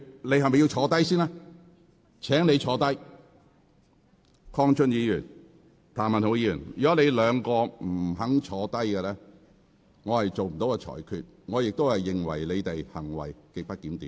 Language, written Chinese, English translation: Cantonese, 鄺俊宇議員、譚文豪議員，如果你們不坐下，我不會作出裁決，而我亦會視你們為行為極不檢點。, Mr KWONG Chun - yu and Mr Jeremy TAM if you do not sit down I will not make my ruling and I will regard your behaviour as grossly disorderly